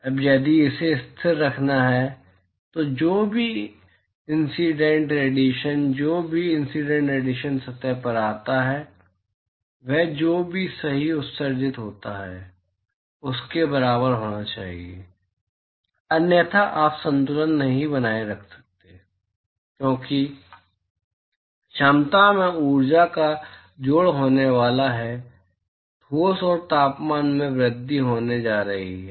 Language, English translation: Hindi, Now, if it has to be maintained constant, then whatever incident radiation, whatever incident radiation that comes to the surface should be equal to whatever is emitted right – otherwise you cannot maintain equilibrium, because there is going to be addition of energy to the capacity of the solid and the temperature is going to increase